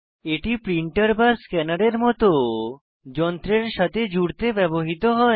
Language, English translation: Bengali, These are used for connecting devices like printer, scanner etc